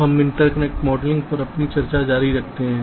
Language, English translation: Hindi, so we continue with our discussion on interconnect modeling